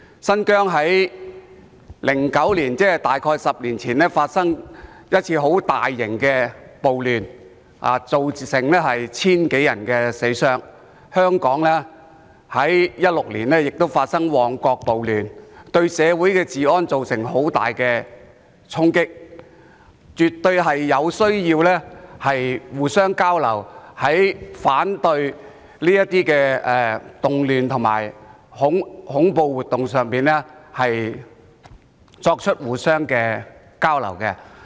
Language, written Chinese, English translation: Cantonese, 新疆曾在2009年，即大約10年前發生一次大型暴亂，造成千多人傷亡，而香港亦在2016年發生旺角暴亂，對社會治安造成很大衝擊，所以絕對有需要在防範這些動亂和恐怖活動方面互相交流。, In 2009 about 10 years ago a major riot took place in Xinjiang leaving thousands of people injured and dead . Similarly in 2016 a riot took place in Mong Kok which dealt a serious blow to the law and order of the society of Hong Kong . Therefore it is absolutely necessary to conduct exchanges on the prevention of these disturbances and terrorist activities